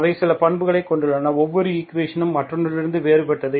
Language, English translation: Tamil, They have certain properties each equation is different from the other